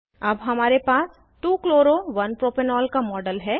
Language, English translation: Hindi, We now have the model of 2 chloro 1 propanol